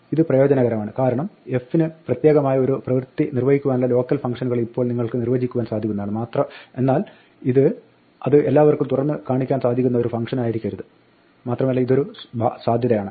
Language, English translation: Malayalam, This is useful because now you can define local functions which we may want to perform one specialized task which are relevant to f, but it should not be a function which is exposed to everybody else and this is a possibility